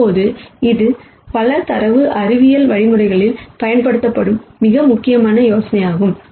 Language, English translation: Tamil, Now this is a very important idea that is used in several data science algorithms